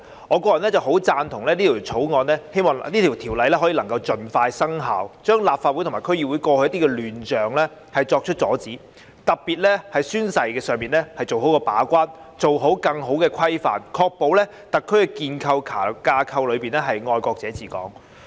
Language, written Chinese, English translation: Cantonese, 我個人十分贊同並希望這項《條例草案》能盡快生效，遏止立法會及區議會過去的亂象，特別是在宣誓方面把關，作出更好的規範，確保在特區架構內是"愛國者治港"。, I strongly support this Bill and hope that it can come into effect as soon as possible to curb the chaos previously found in the Legislative Council and District Councils DCs and especially to act as a gatekeeper to better govern the taking of oath and ensure the implementation of patriots administering Hong Kong within the SAR framework